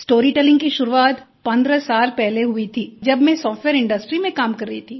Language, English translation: Hindi, Storytelling began 15 years ago when I was working in the software industry